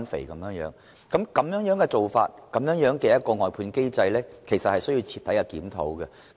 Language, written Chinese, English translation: Cantonese, 這樣的做法和外判機制，其實需要徹底檢討。, This practice and the outsourcing mechanism actually need to be reviewed in a thorough manner